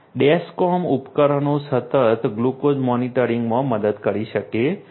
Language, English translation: Gujarati, Dexcom devices can help in continuous glucose monitoring